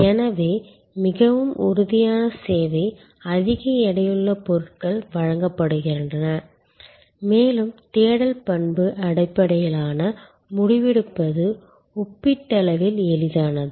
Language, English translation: Tamil, So, more tangible is the service, the more goods heavy is the offering, the more search attribute based decision making taking place which is comparatively easier